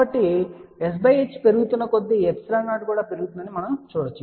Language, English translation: Telugu, So, we can say that as s by h increases we can see that epsilon 0 also increases